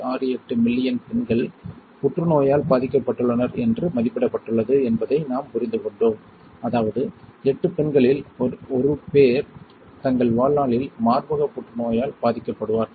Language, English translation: Tamil, 68 million women were diagnosed with cancer in 2015 which means 1 in 8 women will be diagnosed with breast cancer during their life time